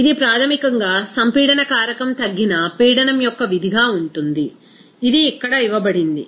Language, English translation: Telugu, This is basically the compressibility factor is as a function of reduced pressure, it is given here